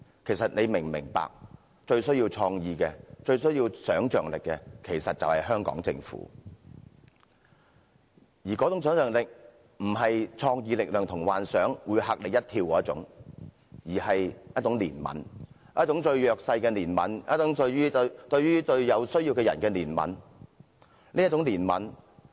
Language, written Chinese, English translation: Cantonese, 其實你是否明白，最需要創意和想象力的便是香港政府，那種想象力並非"創作力量同幻想會嚇你一跳"那種，而是一種對弱勢和有需要的人的憐憫。, But then we have to understand that it actually is the Hong Kong Government which is in dire need of creativity and imagination . This kind of imagination is not exactly like the creative power and imagination that startle one but a kind of compassion towards the underprivileged and the needy